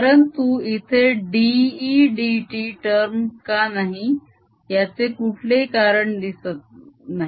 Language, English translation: Marathi, but there is no reason why a d, e, d t term cannot be here